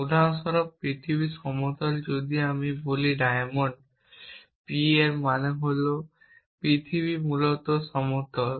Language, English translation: Bengali, For example, the earth is flat if I say diamond p it means is possible that the earth is flat essentially